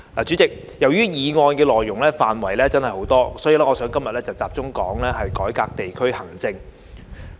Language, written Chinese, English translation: Cantonese, 主席，由於議案內容涵蓋很多範疇，所以，今天我想集中說說改革地區行政。, President as the motion covers numerous areas today I wish to focus my speech on how district administration should be reformed